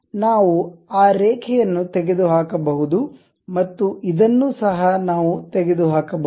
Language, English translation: Kannada, We can remove that line and also this one also we can remove